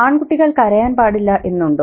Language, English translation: Malayalam, So boys are not supposed to cry, very good